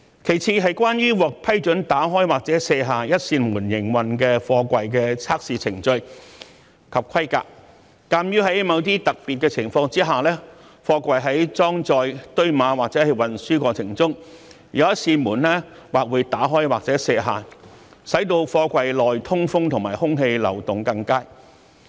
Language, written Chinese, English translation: Cantonese, 其次，是關於獲批准打開或卸下一扇門營運的貨櫃的測試程序及規格，鑒於在某些特別情況下，貨櫃在裝載、堆碼或運輸過程中，有一扇門會打開或卸下，使貨櫃內通風和空氣流動更佳。, Second regarding the testing procedures and specifications for containers approved for operation with one door open or removed in view of the fact that in certain special cases containers may be loaded stacked and transported with one of its door opened or removed in order to improve ventilation and air circulation inside the container